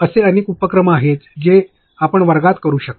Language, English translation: Marathi, There are so many activities which you can do in class